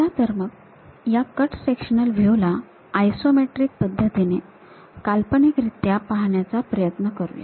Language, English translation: Marathi, Let us visualize cut sectional view in the isometric way